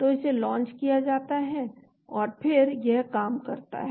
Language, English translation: Hindi, So that is launched and then it does the job